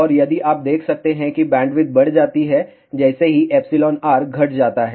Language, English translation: Hindi, And, you can see that bandwidth increases as epsilon r decreases